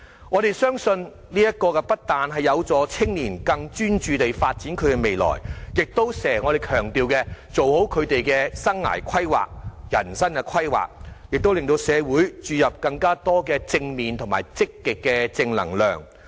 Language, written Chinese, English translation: Cantonese, 我們相信，這不但有助年青人更專注地發展未來，亦能做好我們經常強調的生涯規劃或人生規劃，亦能令社會注入更多正面和積極的正能量。, We believe it will not only help get young people become more focused on their future development but also facilitate good career or life planning often stressed by us and provide more positive vibes for creating a positive and upbeat social atmosphere